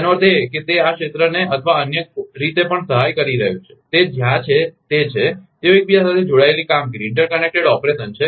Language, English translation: Gujarati, That means, it is it is helping this area or in other way also, that is that where they are interconnected operation